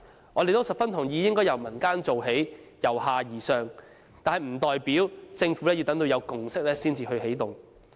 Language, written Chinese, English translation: Cantonese, 我們也十分同意應該由民間做起，由下而上，但不代表政府要等到有共識才起動。, We also agree that bazaars should be initiated by the community in a bottom - up approach but that does not mean the Government will only take actions after a consensus has been reached